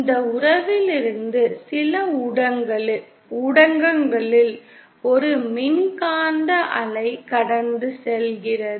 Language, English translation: Tamil, Either from this relationship that is we have an electromagnetic wave passing through some media